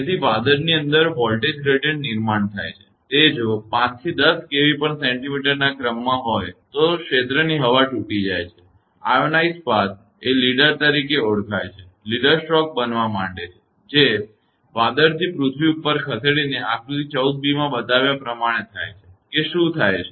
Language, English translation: Gujarati, So, voltage gradient within the cloud build up at the order of if 5 to 10 kilo Volt per centimeter the air in the region breaks down; an ionized path called leader, a leader stroke starts to form, moving from the cloud up to the earth as shown in figure 14 b that mean what happen